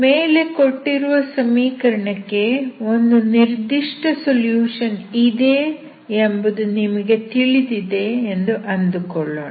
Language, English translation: Kannada, Suppose you know that the above given equation has some particular solution